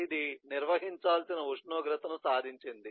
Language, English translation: Telugu, it has achieved the temperature